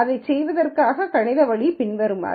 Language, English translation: Tamil, So, mathematical way of doing this would be the following